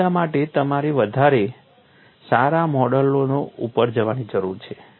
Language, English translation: Gujarati, For all these, you need to go for better models